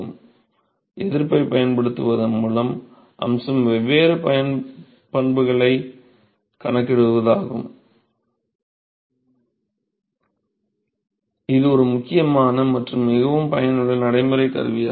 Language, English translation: Tamil, So the aspect of using resistance is to calculate different properties, is an important and very useful practical tool all right